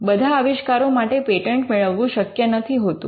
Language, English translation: Gujarati, Not all inventions are patentable